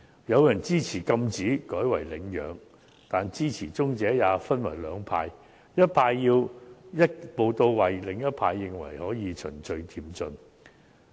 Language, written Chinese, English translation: Cantonese, 有人支持禁止買賣，改為領養，但支持者也分為兩派，一派要求一步到位，另一派則認為可以循序漸進。, While some people support the banning of animal trading and advocate adoption they have split into two camps one urges to achieve the goal in one step whereas another favours a progressive approach